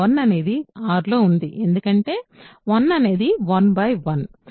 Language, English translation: Telugu, 1 is in R because 1 is 1 by 1 right